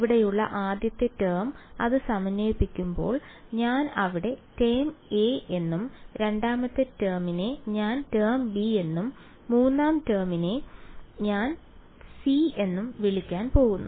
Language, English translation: Malayalam, So, the first term over here when that integrates I am going to call it term a, the second term I am going to call term b and the third term over here I am going to call term c ok